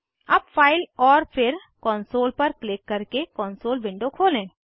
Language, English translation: Hindi, Now open the console window by clicking on File and then on Console